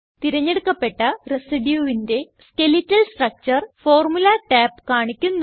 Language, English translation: Malayalam, Formula tab shows the Skeletal structure of the selected residue